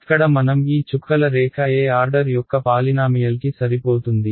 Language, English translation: Telugu, Here I fit this dotted line was a polynomial of what order